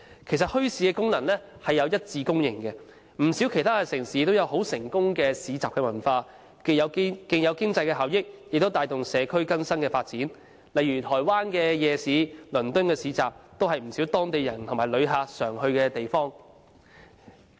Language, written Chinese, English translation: Cantonese, 其實，墟市的功能已獲一致公認，不少城市都有很成功的市集文化，既有經濟效益，亦帶動社區更新發展，例如台灣的夜市和倫敦的市集，都是不少當地人和旅客經常去的地方。, The functions of bazaars are universally recognized . Many cities have a culture of successful bazaars which not only brings economic benefits to the community but also promotes social development . For example the night markets of Taiwan and bazaars in London are frequented by local residents and foreign visitors alike